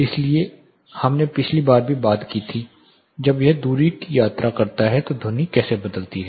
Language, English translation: Hindi, So, we also talked about last time how sound varies as it travels through distance